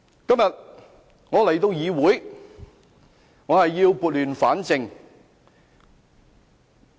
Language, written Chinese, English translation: Cantonese, 今天，我到議會要撥亂反正。, Today I am here to set things right